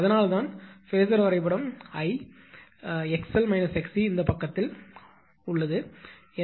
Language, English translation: Tamil, That is why this phasor diagram I x l minus x c is to this side right